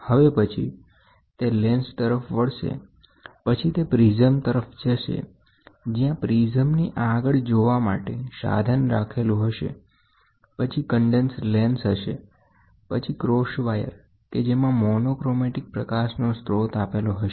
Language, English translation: Gujarati, So, and then this, in turn, goes to lens, and from the lens, it goes to a prism here and the ahead of the prism there is a viewing aperture, then you have condensing lens, then you have a cross wire, we have a monochromatic source